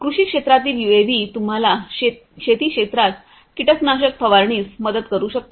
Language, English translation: Marathi, UAVs in agriculture could help you in spraying of pesticides in the agricultural field